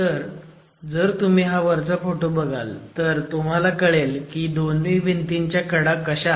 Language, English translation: Marathi, So, if you see the picture here at the top, you see the way the edge of the wall is, the two edges of the wall are